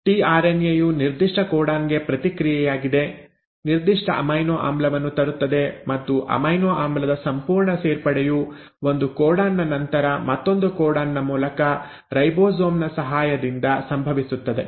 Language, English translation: Kannada, It is the tRNA which in response to a specific codon will bring in the specific amino acid and this entire adding of amino acid happens codon by codon in the ribosome, with the help of ribosome